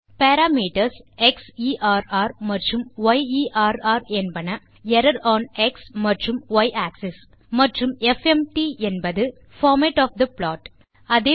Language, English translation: Tamil, The parameters xerr and yerr are error on x and y axis and fmt is the format of the plot